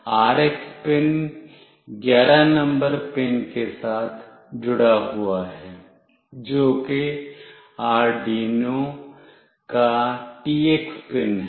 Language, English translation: Hindi, And the RX pin is connected with pin number 11 that is the TX pin of Arduino